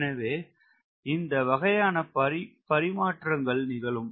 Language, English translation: Tamil, so those sort of a trade off will go on